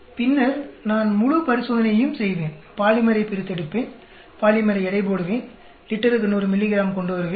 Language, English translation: Tamil, Then I will do the whole experiment, extract the polymer, weigh the polymer, and come up with 100 milligrams per liter